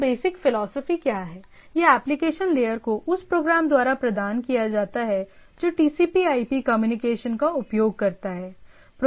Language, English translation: Hindi, So, again what are the basic philosophy that application layer is provided by the program that uses TCP/IP communication